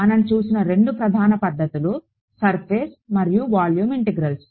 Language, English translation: Telugu, Two main methods that we have seen are surface and volume integrals